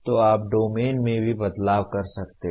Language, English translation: Hindi, So you can have change in domains also